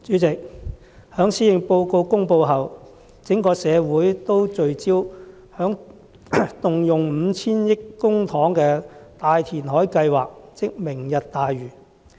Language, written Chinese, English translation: Cantonese, 主席，在施政報告公布後，整個社會都聚焦在動用 5,000 億元公帑進行的大填海計劃，即"明日大嶼"計劃。, President after the delivery of the Policy Address the focus of the entire community has been on Lantau Tomorrow the mega reclamation project which costs 500 billion public money